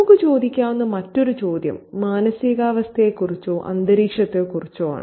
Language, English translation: Malayalam, The other question that we can ask ourselves is about mood or atmosphere